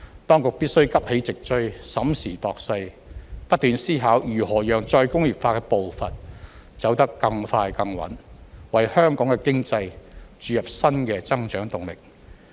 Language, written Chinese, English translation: Cantonese, 當局必須急起直追，審時度勢，不斷思考如何讓再工業化的步伐走得更快更穩，為香港的經濟注入新的增長動力。, The authorities have to catch up and assess the situation carefully as well as keep reflecting on how to make re - industrialization proceed at a faster and steadier pace in order to inject new growth impetus into Hong Kongs economy